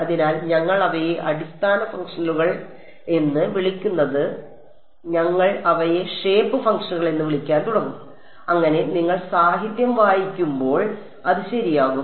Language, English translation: Malayalam, So, we will stop calling them basis functions now we will we start calling them shape functions so that when you read the literature it is smooth right